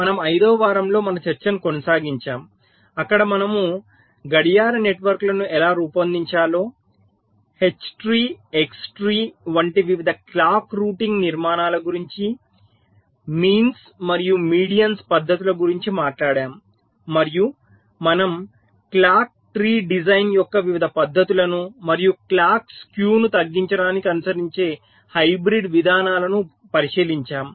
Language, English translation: Telugu, so we continued our discussion in week five where we talked about how to design the clock networks, various clock routing architectures like h tree, x tree, method of means and medians, etcetera, and we looked at the various methods of clock tree design and the kind of hybrid approaches that are followed to minimize the clocks skew